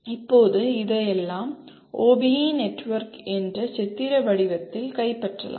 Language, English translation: Tamil, Now all this can be captured in a pictorial form, the OBE network